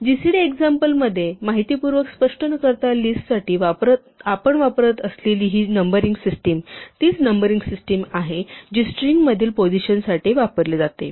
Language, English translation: Marathi, This numbering scheme that we use for list informally in the gcd example without formally explaining, it is actually the same numbering scheme that is used for positions in the string